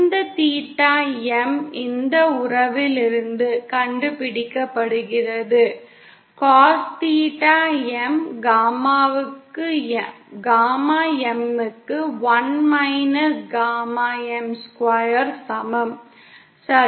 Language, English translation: Tamil, and this theta M is found out from this relationship; cos theta M is equal to Gamma M over 1 minus gamma M square, okay